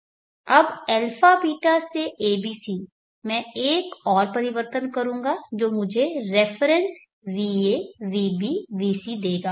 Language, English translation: Hindi, Now a beeta to a b c I will do one more transformation which will give me the reference va vb vc